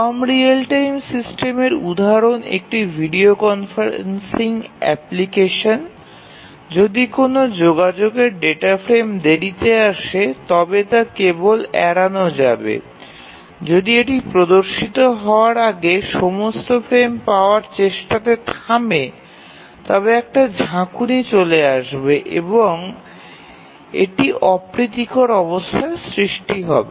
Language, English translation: Bengali, A video conferencing application, if a communication data frame arrives late then that is simply ignored, if it stops for getting all the frames before it displays then you will see flicker and it will be unpleasant